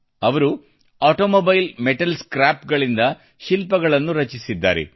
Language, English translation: Kannada, He has created sculptures from Automobile Metal Scrap